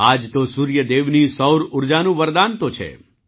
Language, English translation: Gujarati, This is the very boon of Sun God's solar energy